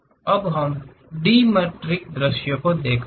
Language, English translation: Hindi, Now, let us look at dimetric view